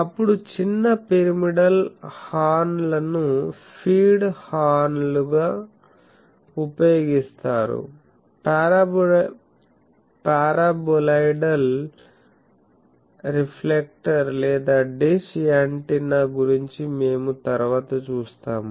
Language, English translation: Telugu, Then, small pyramidal horns are used as feed horns, that we will see later that for paraboloidal reflector or the dish antenna